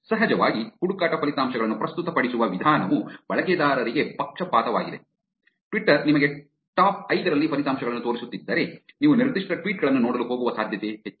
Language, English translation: Kannada, Of course, the way that the search results are presented is actually going to bias the users to go to, if twitter is showing you the results on top 5 there is more likely that you are going to actually go look at those particular tweets